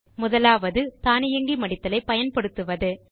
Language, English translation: Tamil, The first one is by using Automatic Wrapping